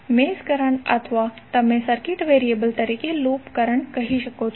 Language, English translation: Gujarati, Mesh currents or you can say loop current as a circuit variable